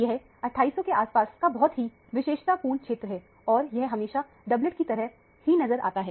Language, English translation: Hindi, It is a very characteristic region around 2800 or so and it appears always as a doublet